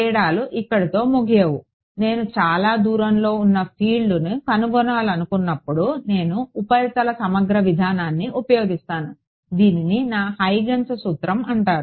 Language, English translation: Telugu, The differences do not end here, when I want to find out the field far away I use in the surface integral approach this is called my Huygens principle right